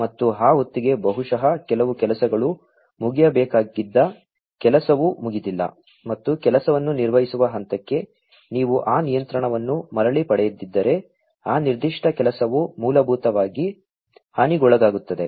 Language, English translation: Kannada, And, by that time maybe you know some job will be will which was required to be finished is not finished, and if you do not get that control back to that point where the job is being performed, then that particular job is going to be basically damaged, right